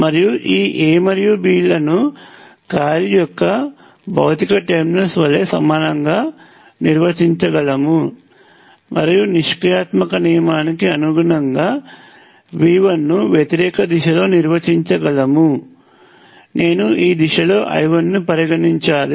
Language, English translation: Telugu, And I could equally well have defined this A and B mark the physical terminals, I could equally well have defined V 1 in the opposite direction, and to be consistent with passive sign convention, I have to consider I 1 in this direction